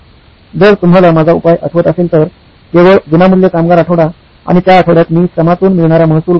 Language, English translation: Marathi, If you remember my solution, just to have free labour week and that week I actually lost revenue from labour